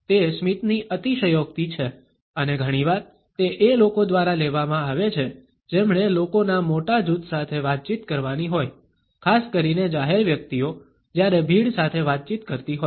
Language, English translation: Gujarati, It is the exaggeration of a smile and often it is taken up by those people who have to interact with a large group of people, particularly the public figures while interacting with a crowd